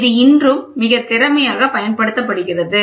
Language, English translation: Tamil, This is very efficiently used even today